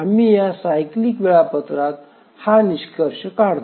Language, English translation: Marathi, So now we conclude on this cyclic scheduler